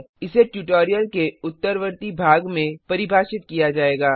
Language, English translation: Hindi, It will be explained in subsequent part of the tutorial